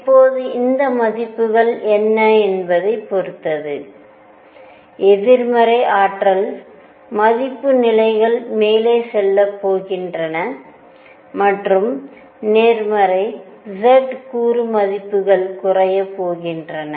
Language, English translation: Tamil, Now depending on what these values are, so negative energy value levels are going to move up and positive z component values are going to come down